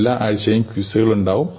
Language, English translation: Malayalam, Every week, there will be quizzes